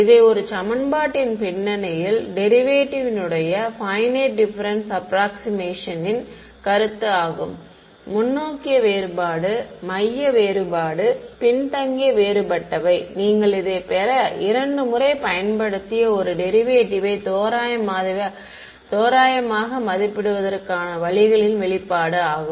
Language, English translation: Tamil, This is just by a I mean the idea behind this equation is finite difference approximation of a derivative; forward difference, central difference, backward different those are ways of approximating a derivative you applied two times you get this expression ok